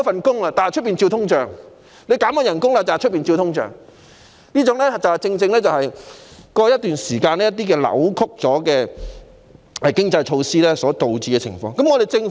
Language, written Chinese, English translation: Cantonese, 市民失業、被減薪，但可能卻要面對通脹，這正正是過去一段時間一些扭曲的經濟措施所導致的可能情況。, Unemployment pay cuts and probable inflation are precisely the possible outcomes of certain distorted economic measures in place over the past period